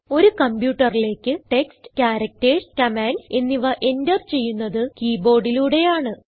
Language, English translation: Malayalam, The keyboard is designed to enter text, characters and other commands into a computer